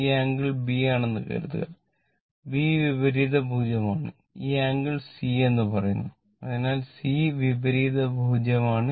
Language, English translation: Malayalam, Suppose this angle is b it is opposite arm is b and this angle say it is C capital C right